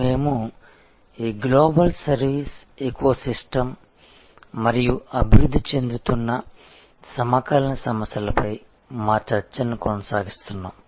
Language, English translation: Telugu, We are continuing our discussion on this Global Service Ecosystem and the emerging Contemporary Issues